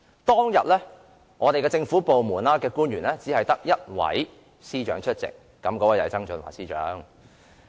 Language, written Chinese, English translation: Cantonese, 當天，在政府官員之中，只有一位司長出席，便是曾俊華司長。, That day only one Secretary of Departments from the government was present―Financial Secretary John TSANG